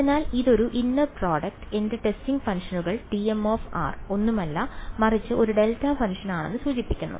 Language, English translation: Malayalam, So, this is a inner product, if implies that my testing functions t m of r is nothing, but a delta function ok